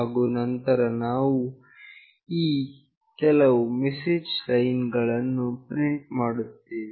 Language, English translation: Kannada, And then we will print these few lines of message